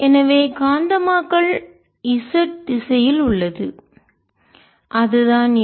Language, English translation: Tamil, so magnetization is along the z axis, which is this